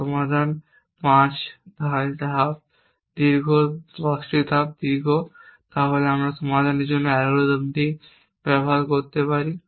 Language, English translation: Bengali, So, if you are the problem in which the solutions of 5 steps longer 10 steps long then we could use is algorithms for solving them